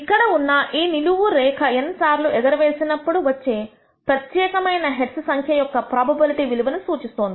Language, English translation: Telugu, The vertical line here represents the probability value for a particular number of heads being observed in n tosses